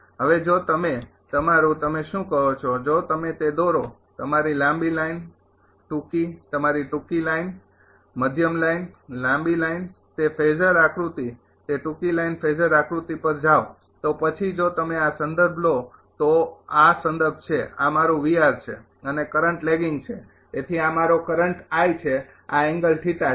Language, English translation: Gujarati, Now if you if you your what you call if you draw the ah your that your long line short ah your short line, medium line, long line those phasor diagram go to that short line phasor diagram then if you take this is reference, this is reference, this is my V r, and current is lagging so this is my current i, right these angle is theta